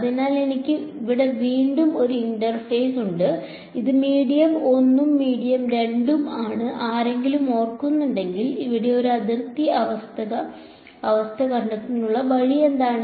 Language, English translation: Malayalam, So, again I have an interface over here, this is medium 1 and medium 2 what is the way of a finding a boundary condition over here if anyone remembers